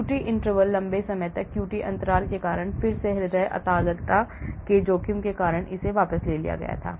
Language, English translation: Hindi, this was withdrawn due to the risk of cardiac arrhythmia caused by QT interval prolongation again it is because of long QT interval